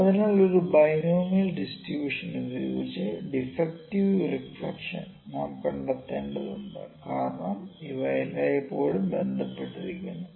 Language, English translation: Malayalam, So, I just need touch reflection of defective with binomial distribution because these are always related